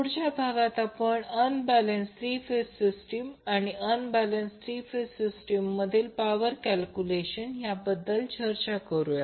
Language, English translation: Marathi, In the next session, we will discuss unbalanced three phase system and the calculation of power for the unbalanced three phase system